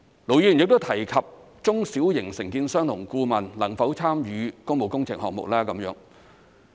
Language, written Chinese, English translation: Cantonese, 盧議員亦提及中小型承建商和顧問能否參與工務工程項目的問題。, Ir Dr LO has also mentioned the possibility for small and medium contractors and consultants to participate in public works projects